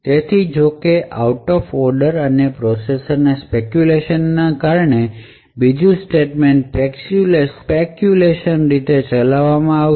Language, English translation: Gujarati, So however due to the out of order and speculative execution of the processor the second statement would be speculatively executed